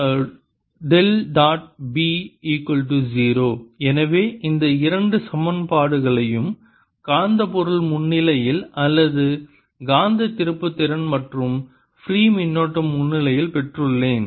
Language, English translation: Tamil, so i have got these two equations in presence of magnetic material, or in presence of magnetic moment and free currents